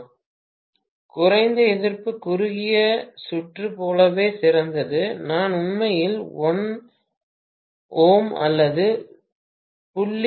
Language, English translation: Tamil, Low resistance is as good as short circuit, I am going to have literally 1 ohm or 0